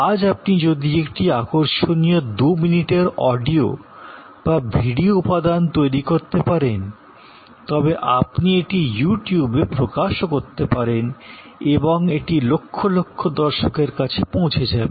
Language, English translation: Bengali, Today, if you can produce an interesting 2 minutes of audio, video material, you can publish it on YouTube and it will go to millions of viewers, we have a new name going viral